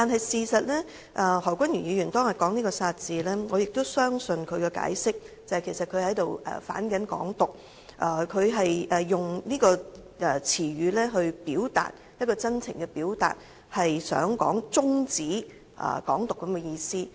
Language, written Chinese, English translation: Cantonese, 事實上，何君堯議員當日說出"殺"字，我相信他的解釋，他其實是在"反港獨"，是以這個詞語作出真情的表達，抒發要終止"港獨"之意。, In fact Dr Junius HO used the word kill on the day and I believe his explanation that he actually made a heartfelt expression of anti - Hong Kong independence by using this word conveying the meaning that Hong Kong independence should be halted